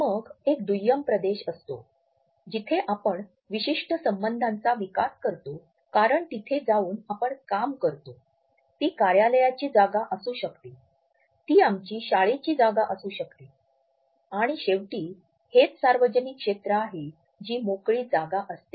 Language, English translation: Marathi, Then there is a secondary territory where we develop certain association because we go and do some work over there, it may be our office space, it may be our school etcetera and then lastly this is the public territory which is the open space